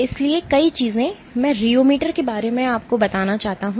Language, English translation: Hindi, So, several things I wish to say about the rheometer